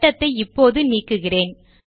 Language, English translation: Tamil, Let me delete the circle now